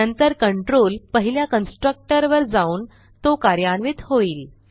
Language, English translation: Marathi, Then, the control goes to the first constructor and executes it